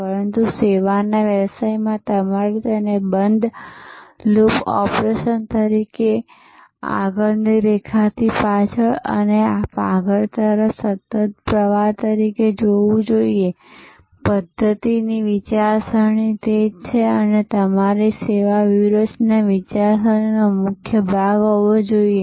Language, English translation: Gujarati, But, in service business you must see it as a continuous flow from the front line to the back and forward as a loop as a closed loop operation; that is what systems thinking is all about and that should be the core of your service strategy thinking